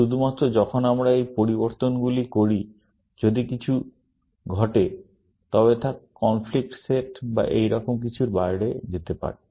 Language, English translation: Bengali, Only, when we make these changes, if something happens, then it may go out of the conflict set or something like that